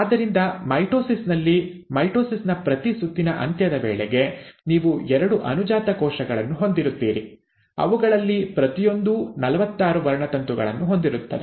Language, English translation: Kannada, So in mitosis, by the end of every round of mitosis, you will have two daughter cells, each one of them containing forty six chromosomes